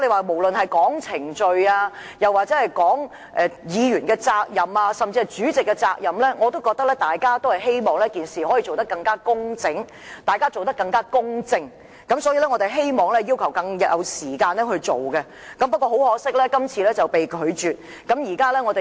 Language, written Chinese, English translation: Cantonese, 無論是從程序、議員責任或主席責任的角度而言，大家都希望可以更工整和公正地辦事，所以我們要求有更多時間處理，但很可惜，我們的要求被你拒絕了。, We merely hope that the matter can be handled in a more tidy and fair manner in terms of procedure Members duty or the Presidents duty . That is why we requested that more time be taken to handle the application . But regrettably our request was rejected by you